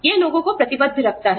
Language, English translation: Hindi, You know, it keeps people committed